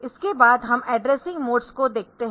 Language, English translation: Hindi, So, this is that this is actually the addressing mode